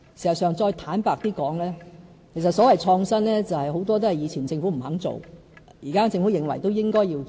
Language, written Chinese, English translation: Cantonese, 事實上，再坦白一點的說，所謂創新，很多都是歷屆政府不肯做，但現屆政府認為是應該做的。, Yet to be honest many of these innovative initiatives so to speak were actually rejected by the previous Governments . But somehow the current Government thinks that they should be taken forward